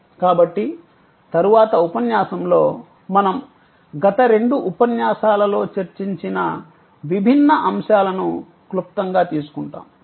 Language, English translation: Telugu, And so in the next episode, we will take up the different elements that we have discussed in the last 2 lectures in short